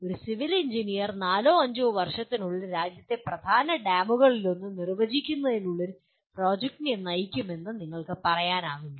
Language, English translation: Malayalam, You cannot say a Civil Engineer will lead a project to define let us say one of the major dams in the country within four to five years